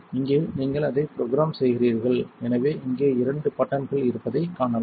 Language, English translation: Tamil, Here is where you program it so as you can see there is a couple of buttons here